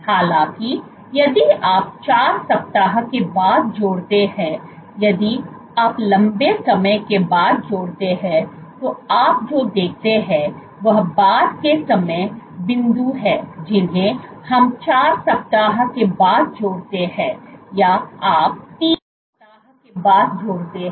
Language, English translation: Hindi, However, if you add after 4 weeks, if you add after a long time, so what you see is later time points we are add after 4 weeks or you add after 3 weeks